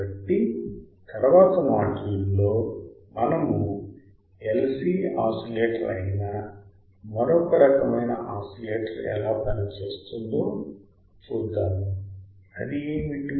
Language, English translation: Telugu, So, in the next module let us see how the another kind of oscillator works that is your LC oscillator; what is that